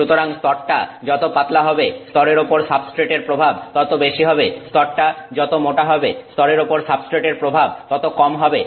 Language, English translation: Bengali, So, the thinner the layer, the greater is the impact of the substrate on the layer, the thicker the layer, less is the impact of the substrate on the layer